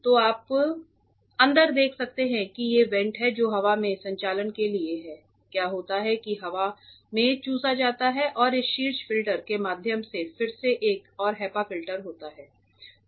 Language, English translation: Hindi, So, you can see inside there are these vents that is for air circulation what happens is air gets sucked in and gets recirculated through this top filter again another HEPA filter is there